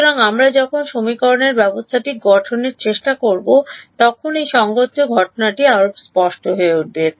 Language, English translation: Bengali, So, when we try to form the system of equations this will become even more clear this coupling that is happening